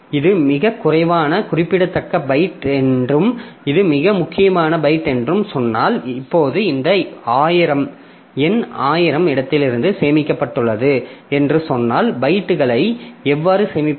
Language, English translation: Tamil, So, if I say that this is the least significant byte and this is the most significant byte, now if I say that this number is stored from location thousand, then how do you store the bytes